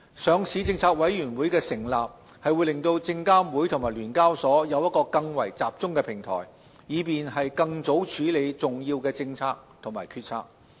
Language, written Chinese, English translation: Cantonese, 上市政策委員會的成立讓證監會及聯交所有一個更為集中的平台，以便更早處理重要的政策及決策。, The establishment of LPC provides SFC and SEHK a more focused platform to tackle important policies and decisions at an earlier stage